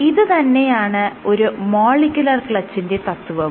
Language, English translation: Malayalam, This is the principle of a molecular clutch